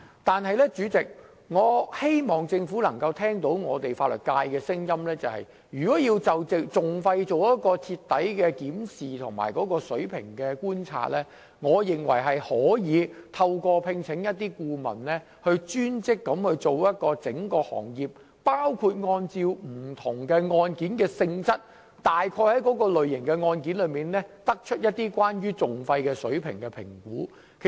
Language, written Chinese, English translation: Cantonese, 不過，主席，我希望政府聆聽法律界的聲音，對於就訟費的水平進行徹底的檢視和觀察，我認為可聘請顧問專職研究整個行業的收費，包括按照各類案件的性質來評估訟費的水平。, Yet President I hope the Government will heed the views of the legal sector to conduct a comprehensive review and observation on the level of litigation costs . I think the authorities may commission consultants to conduct a specified study on the fees charged by the sector as a whole including an assessment of the level of litigation costs incurred in cases by categories